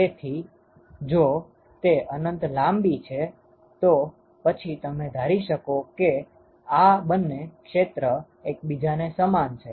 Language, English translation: Gujarati, So, if it is infinitely parallel, then you could assume that these two areas are equal to each other